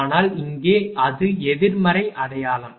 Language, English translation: Tamil, But, here it is negative sign